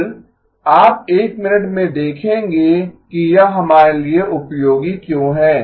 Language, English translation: Hindi, Again, you will see in a minute why that is helpful for us